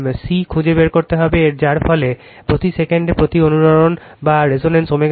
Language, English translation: Bengali, You have to find C, which results in a resonance omega 0 is equal to 5000 radian per second right